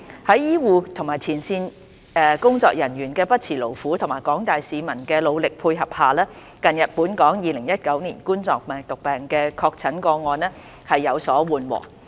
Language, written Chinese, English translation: Cantonese, 在醫護及前線工作人員的不辭勞苦和廣大市民的努力配合下，近日本港2019冠狀病毒病的確診個案增長速度有所緩和。, With the dedication of health care staff and frontline workers and cooperation of members of the public the increase of confirmed COVID - 19 cases in Hong Kong has slowed down in recent days